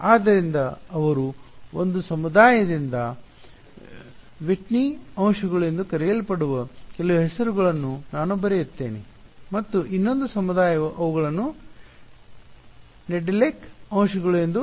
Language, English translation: Kannada, So, I will just write down some of names they are to called Whitney elements by one community and another community calls them Nedelec elements